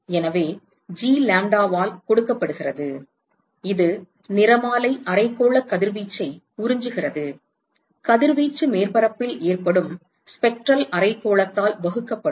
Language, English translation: Tamil, So, that is given by G lambda,absorb that is the spectral hemispherical radiation, irradiation that is absorbed by the surface divided by the spectral hemispherical that is incident to that surface